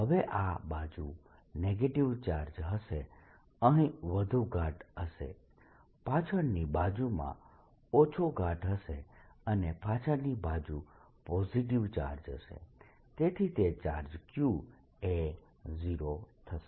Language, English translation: Gujarati, now, on this side there will be negative charge, more dense here, less dense in the back side, and on back side will be positive charge, so that net charge q is zero